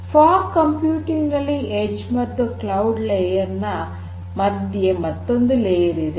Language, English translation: Kannada, So, fog computing basically offers an added layer between the edge layer and the cloud layer